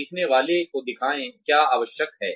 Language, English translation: Hindi, Show the learner, what is required